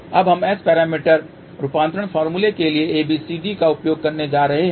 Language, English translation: Hindi, Now, we are going to use ABCD to S parameter conversion formula